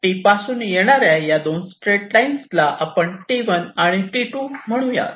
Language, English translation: Marathi, these two straight lines are coming from s, call them s one and s two